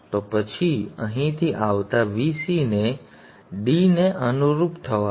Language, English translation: Gujarati, Then let the VC that is coming from here correspond to D hat